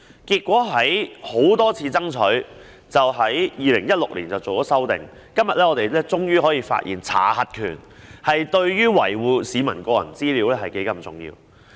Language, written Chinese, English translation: Cantonese, 結果在多次爭取之後，政府在2016年作出修訂，今天大家終於意識到查核權對維護市民個人資料是多麼重要。, Consequently after repeated demands the Government made an amendment in 2016 making people realize today how important the power to check such products is to safeguarding the personal information of citizens